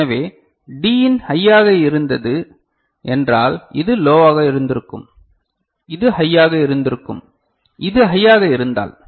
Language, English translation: Tamil, So, D in was high means this would have been low and this would have been high, if this was high ok